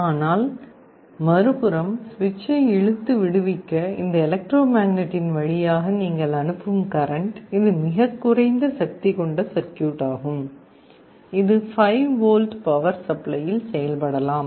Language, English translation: Tamil, But on the other side the current that you are passing through this electromagnet to pull and release the switch, this can be a very low power circuit, this can be working at 5 volts power supply